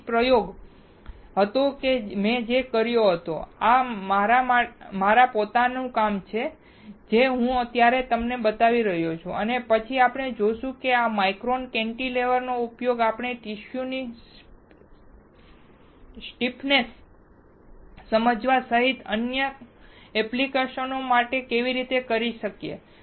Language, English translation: Gujarati, So, that was the experiment that I did and this is from my own work which I am showing it to you right now and then we will see that how we can use this micro cantilever for several applications including understanding the stiffness of the tissue, including understanding stiffness; STIFFNESS